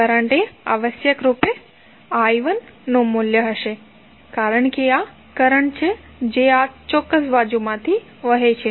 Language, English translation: Gujarati, Current would be essentially the value of I 1 because this is the current which is flowing from this particular site